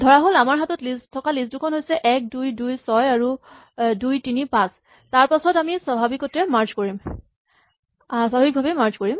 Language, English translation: Assamese, Let us suppose that we have 1, 2, 2, 6 and 2, 3, 5 then we do the normal merge